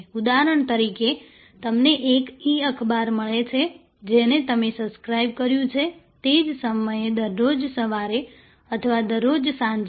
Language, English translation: Gujarati, Example, you receive a e newspaper to which you have subscribed, at the same time every morning or every evening